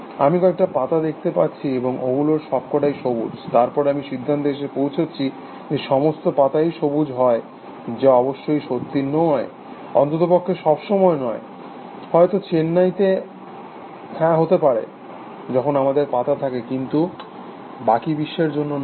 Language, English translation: Bengali, I see, a few leaves, and all of them are green, then I conclude that all leaves are green essentially, which of course, does not true at least not all the time, may be in Chennai yes, when they, when we have leaves, but not in the rest of the world